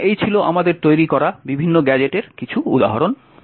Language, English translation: Bengali, So, these were some of the examples of different gadgets that we have created